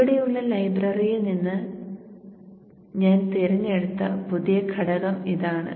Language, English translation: Malayalam, So this is the new component which I have picked from the library here